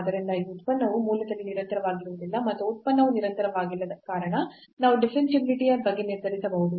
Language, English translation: Kannada, Hence, this function is not continuous at origin and since the function is not continuous we can decide about the differentiability